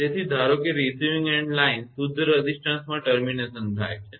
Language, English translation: Gujarati, So, assume that the receiving end line is terminated in a pure resistance